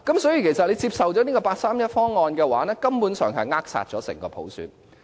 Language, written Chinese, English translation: Cantonese, 所以如果接受八三一方案的話，根本上是扼殺整個普選。, Hence the endorsement of the 31 August proposals would basically stifle the entire universal suffrage